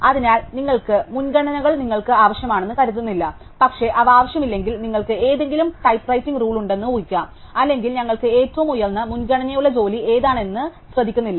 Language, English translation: Malayalam, So, we do not assume the priorities are unique, but if they are not, unique then we can assume either the there is some tie breaking rule or we do not care which one of the highest priority jobs we get right